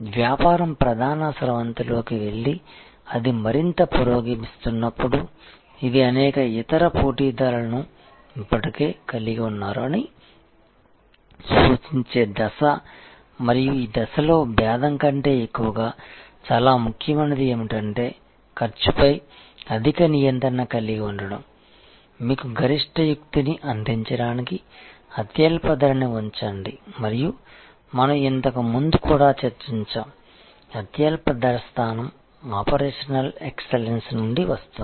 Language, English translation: Telugu, When the business goes in to the main stream and it progresses further, this is the stage where it has number of other competitor have already plugged in and at this stage more than differentiation, what is very important is to have the high control on cost to be in the lowest cost position to give you the maximum maneuverability and we have also discussed before, that the lowest cost position comes from operational excellence